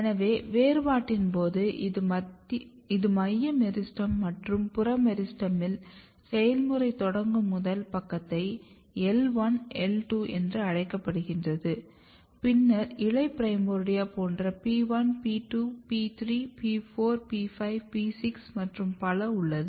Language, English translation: Tamil, So, what happens in the differentiation so if you look this is a central meristem and in the peripheral meristem, first side where the process initiate is called I1, I2 like that and then you have a leaf primordia like P1, P2, P3, P4, P5, P6 and so on